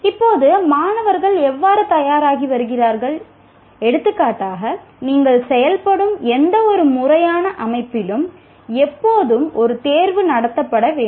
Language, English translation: Tamil, Now comes, how do students prepare for, for example, for any formal setting that you operate, there is always an examination to be conducted